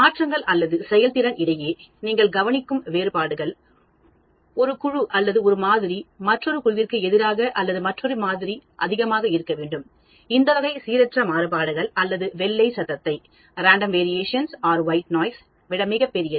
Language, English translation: Tamil, So, there changes or the differences you observe between a performance of one group or one sample as against another group or another sample should be much, much larger than this type of random variation or white noise